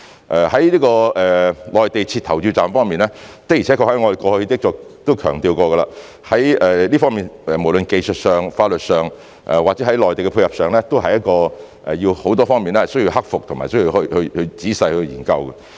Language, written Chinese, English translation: Cantonese, 至於在內地設立投票站方面，的而且確，我們過去亦曾強調，這方面無論在技術上、法律上或者在內地的配合上，都有很多方面需要克服和仔細研究。, On the question of setting up polling stations on the Mainland it is true and we have also stressed in the past that it is necessary to overcome and carefully study issues of many aspects be it technically legally as well as in terms of the coordination with the Mainland